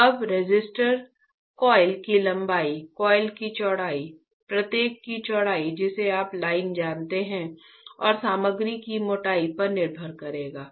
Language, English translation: Hindi, So, now my resistor will depend on the length of the coil, the width of the coil, the width of each you know line and the thickness of the material, correct